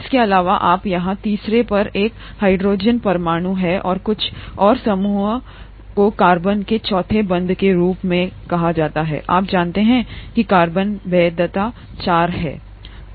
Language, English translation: Hindi, In addition you have a hydrogen atom here at the third and something called an R group as the fourth bond of the carbon, you know that carbon valency is four